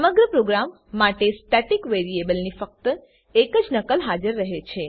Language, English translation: Gujarati, Only one copy of the static variable exists for the whole program